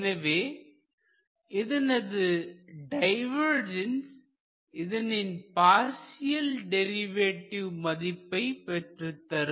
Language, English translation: Tamil, so the other divergence of that will give you this partial derivative